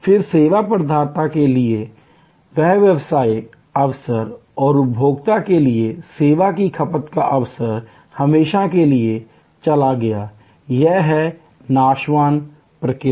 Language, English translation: Hindi, Then, that business opportunity for the service provider and the service consumption opportunity for the consumer gone forever, this is the perishable nature